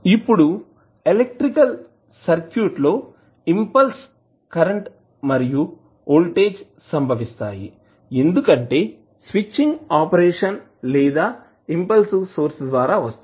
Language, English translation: Telugu, Now, impulse currents and voltage occur in an electrical circuit as a result of switching operation or an impulsive sources